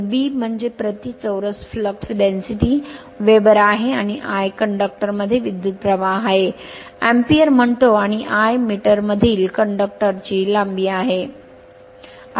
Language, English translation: Marathi, So, B is the flux density Weber per metre square, and I is the current in conductors say ampere, and l is the length of the conductor in metre